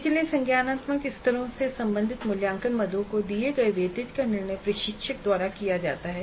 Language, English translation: Hindi, So the weightage is given to the assessment items belonging to the lower cognitive levels is decided by the instructor